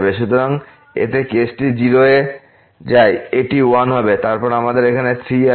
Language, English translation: Bengali, So, in this case t goes to 0, it will be 1 and then, we have 3 here